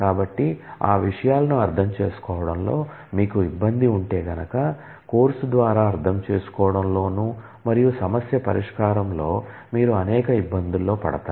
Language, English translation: Telugu, So, if you have gaps in understanding those topics, then all through the course you will get into several difficulties in understanding and problem solving